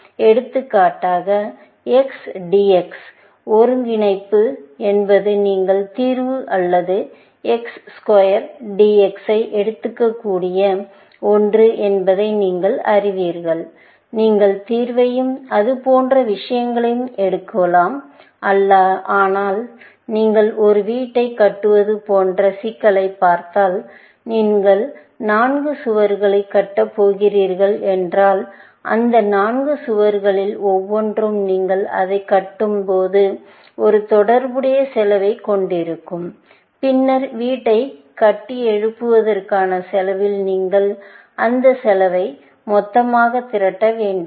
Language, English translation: Tamil, For example, you know that integral of XDX is something that you can just pick up the solution, or X square DX, you can just pick up the solution and things like that, but if you look at the problem, like building a house, then if you going to build 4 walls, then each of those four walls, when you build it; it will have an associated cost, and then, you will have to aggregate all that cost into the cost of building that house, essentially